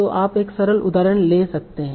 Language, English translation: Hindi, So we can take a simple example